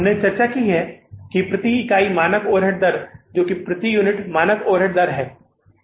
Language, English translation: Hindi, We have discussed it that standard over a rate per unit that is a standard overhead rate per unit